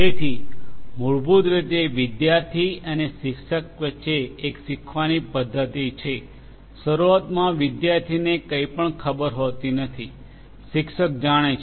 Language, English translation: Gujarati, So, basically it is a learning kind of mechanism between the student and the teacher initially the student does not know anything, teacher knows